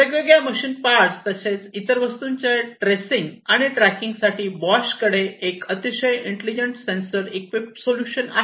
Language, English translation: Marathi, Bosch has a very intelligent solution for tracking and tracing of different parts machine parts different other goods and so on